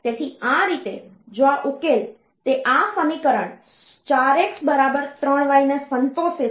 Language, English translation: Gujarati, So this way, if this solution, it satisfies this equation 4 x equal to 3 y